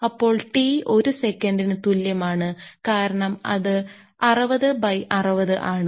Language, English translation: Malayalam, So, then t is equal to one second because it is 60 divided by 60